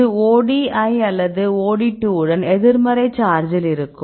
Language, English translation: Tamil, It is a negative charge with OD1 or OD2 right